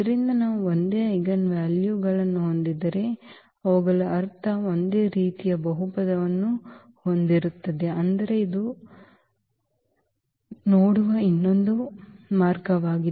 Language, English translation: Kannada, So, if we have the same eigenvalues meaning they have the same characteristic polynomial, but this is just another way of looking at it